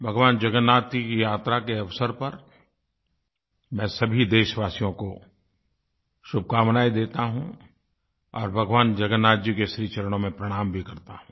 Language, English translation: Hindi, On the occasion of Lord Jagannath's Car Festival, I extend my heartiest greetings to all my fellow countrymen, and offer my obeisance to Lord Jagannath